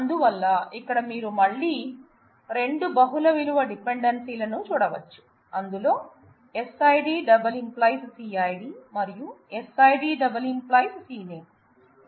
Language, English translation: Telugu, So, you can see that here again you have 2 multiple value dependencies, one where SID multi determines CID and SID multi determines C name